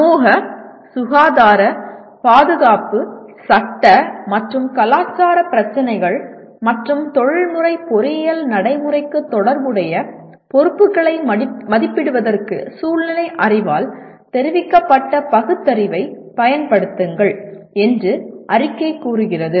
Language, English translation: Tamil, The statement says apply reasoning informed by the contextual knowledge to assess societal, health, safety, legal and cultural issues and consequent responsibilities relevant to the professional engineering practice